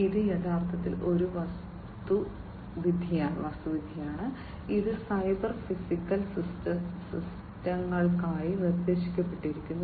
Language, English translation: Malayalam, And this is actually an architecture, which has been proposed for cyber physical systems